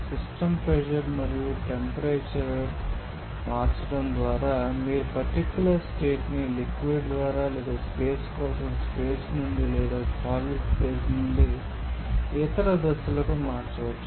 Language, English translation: Telugu, So, by changing the pressure and temperature of the system you can change the particular state from either by liquid or either by you know either from gas for space or either from solid phase to the other phases